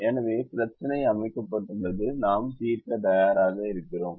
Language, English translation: Tamil, so the problem has been set and we are ready to solve